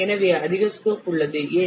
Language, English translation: Tamil, So there is more scope